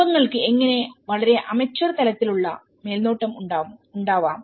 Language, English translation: Malayalam, There is some constraints how the families have a very amateur level of supervision